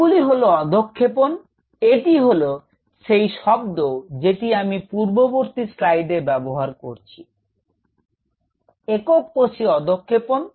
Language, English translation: Bengali, They are suspension and this is called the word which I used in the previous slide; single cell suspension